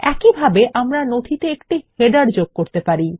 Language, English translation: Bengali, Similarly, we can insert a header into the document